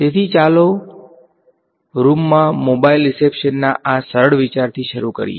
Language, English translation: Gujarati, So, let us start with this simple idea of mobile reception in room